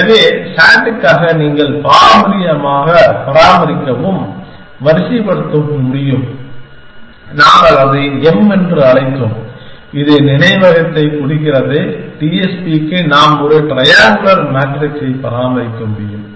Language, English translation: Tamil, So, for S A T you could maintain and array which traditionally we called it M, which stands for memory, for T S P we could maintain a triangular matrix